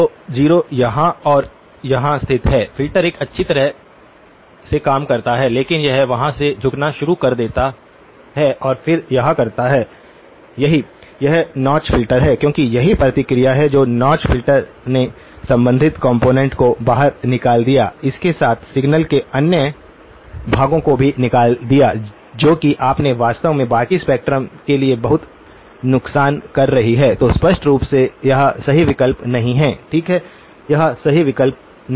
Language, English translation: Hindi, So the 0 is located here and here, filter does a reasonably good job but it starts to droop right from there and then it does this right, that is the notch filter because that is the response if you so the notch filter took out the corresponding component but it also took out with it lot of the other portions of the signal you may actually have ended up doing a lot of damage to the rest of the spectrum as well, so clearly this is not the right option okay, that is not the right option